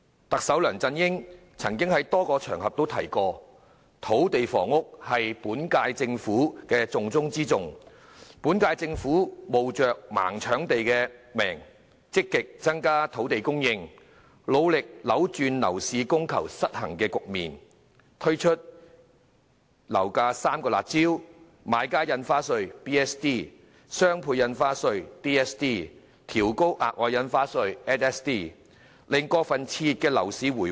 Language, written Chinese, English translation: Cantonese, 特首梁振英曾在多個場合提及，土地房屋是本屆政府的"重中之重"，本屆政府冒着"盲搶地"的批評，積極增加土地供應，努力扭轉樓市供求失衡的局面，並推出遏抑樓價的3項"辣招"，包括買家印花稅、雙倍印花稅和調高額外印花稅，令過分熾熱的樓市回穩。, Chief Executive LEUNG Chun - ying has said on various occasions that land and housing is the top priority in the work of the current - term Government . Even at the risk of being criticized for scrambling for land the current - term Government has actively increased land supply and made strong efforts to reverse the imbalance of supply and demand in the property market . It has rolled out three harsh measures to curb the property market including the Buyers Stamp Duty the Double Stamp Duty and the Special Stamp Duty in order to stabilize the overheated property market